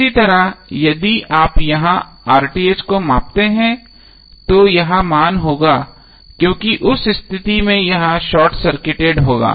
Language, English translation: Hindi, Similarly if you measure RTh here it will be this value because in that case this would be short circuited